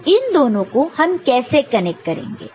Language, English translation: Hindi, Now, in between how we are connecting